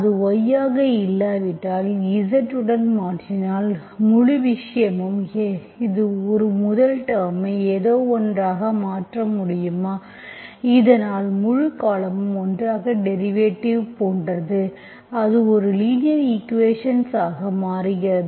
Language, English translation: Tamil, If it is not y, the whole thing if you replace with z, can you make my first term as something so that the whole term together is like derivative, it becomes a linear equation, okay